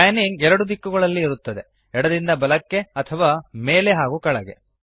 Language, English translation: Kannada, Panning is in 2 directions – left to right or up and down